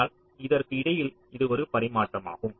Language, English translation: Tamil, but in between it's a tradeoff